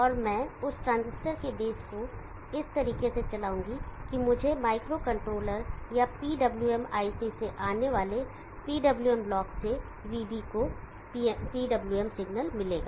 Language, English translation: Hindi, And I will drive the base of that transistor in this fashion and I will get the PWM signal to VB from the PWM block coming from a micro control are PWM IC